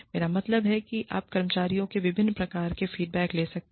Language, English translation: Hindi, I mean, you may take various forms of feedback, from the employees